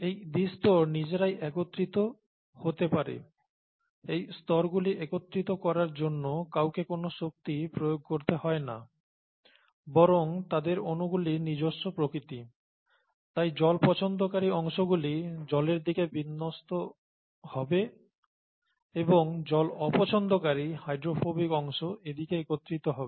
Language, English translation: Bengali, And this bilayer can self assemble, nobody needs to put in any energy to assemble these layers by the very nature of their molecules, here is water, here is water and therefore the water loving parts will orient towards water and the water hating parts, the hydrophobic parts, this is hydrophobic here, hydrophobic part will come together here